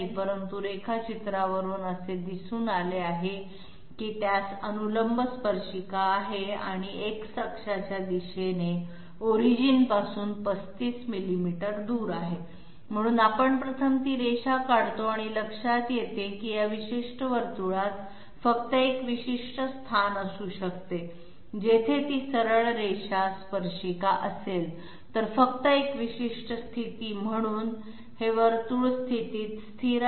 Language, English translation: Marathi, But from the drawing it is shown that it is having a vertical tangent and 35 millimeters away from the origin along X axis, so we draw that line 1st and find that this particular circle can only have one particular position which is you know just a moment